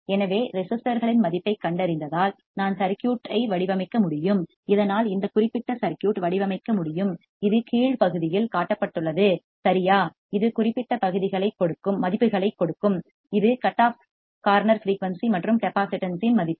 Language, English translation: Tamil, So, I can design the circuit as I found the value of the resistors thus I can design this particular circuit which is shown in the bottom right given the particular values which is the value of the cutoff corner frequency and the value of the capacitance